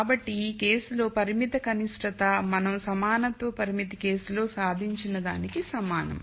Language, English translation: Telugu, So, this case the constrained minimum becomes the same as the minimum that we achieved with the equality constraint case